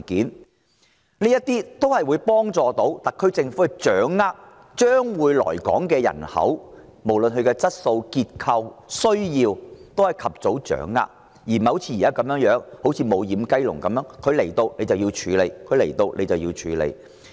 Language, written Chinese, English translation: Cantonese, 此舉有助特區政府及早掌握將會來港的人口，包括其質素、結構、需要等，而不像現時如"無掩雞籠"一般，直至新移民來港才去處理。, This will facilitate the SAR Government in learning about the attributes of the prospective new arrivals such as their quality demographics and needs at an early stage unlike the existing situation where with the admission policy operating very much like a free - range chicken barn cases of new arrivals can be dealt with only in an ad hoc manner